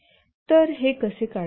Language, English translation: Marathi, So how do we draw this